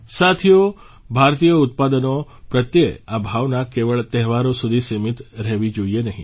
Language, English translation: Gujarati, Friends, this sentiment towards Indian products should not be limited to festivals only